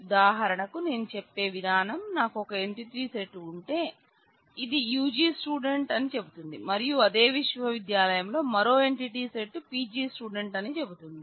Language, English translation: Telugu, For example, the way I am saying is let us say that I have one entity set which say UG student and have another entity set in the same university which say PG student